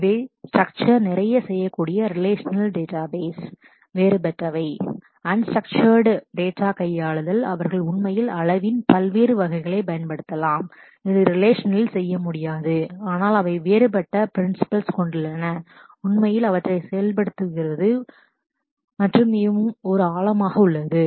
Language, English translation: Tamil, These are different from the relational databases they can do lot of structured, handling of unstructured data they can actually use a scalability of volume a variety which is relationships cannot do and, but they have there are different principles for actually implementing them and there is a deeper